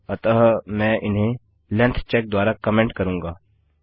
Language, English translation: Hindi, So I will comment this as length check